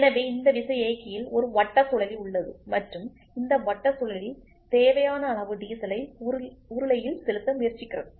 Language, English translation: Tamil, So, in this pump there is a cam and this cam tries to inject the required amount of diesel into the cylinder